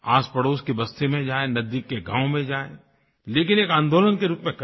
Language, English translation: Hindi, Go to settlements in your neighborhood, go to nearby villages, but do this in the form of a movement